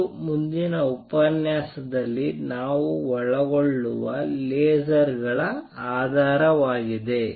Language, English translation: Kannada, This forms the basis of lasers which we will cover in the next lecture